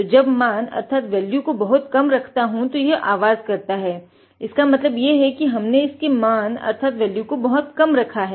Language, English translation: Hindi, So, when I reduce the value too low, it is making the sound because we had adjusted it to a very low value